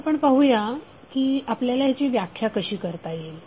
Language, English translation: Marathi, So now let us see how we will define it